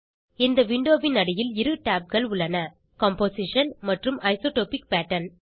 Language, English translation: Tamil, This Window has two tabs at the bottom Composition and Isotopic Pattern